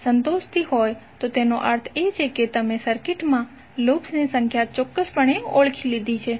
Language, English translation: Gujarati, If it is satisfying it means that you have precisely identified the number of loops in the circuit